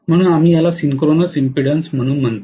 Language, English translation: Marathi, So we call this as synchronous impedance right